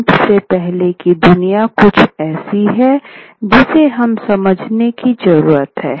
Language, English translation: Hindi, The world before print is something that we need to understand